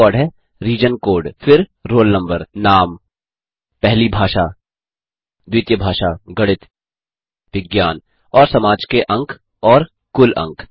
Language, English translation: Hindi, The first record is region code, then roll number,name, marks of second language,first language, maths, science and social and total marks